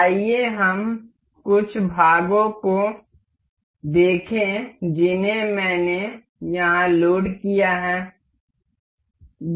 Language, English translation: Hindi, Let us see some of the parts I have loaded here